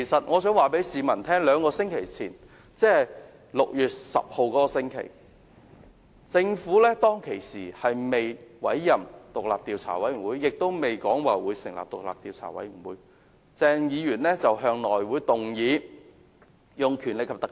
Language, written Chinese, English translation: Cantonese, 我想告訴市民，在兩星期前，即6月10日的那個星期，鄭議員在政府尚未委任法官帶領獨立調查委員會和並未表示會成立獨立調查委員會時，向內務委員會提出引用《條例》。, Members of the public should note that two weeks ago ie . the week of 10 June Dr CHENG proposed to the House Committee the invocation of the Ordinance before the Governments announcement of setting up an independent commission and its appointment of an independent judge - led Commission of Inquiry